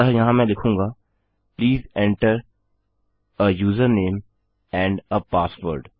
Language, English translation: Hindi, So here Ill say Please enter a user name and a password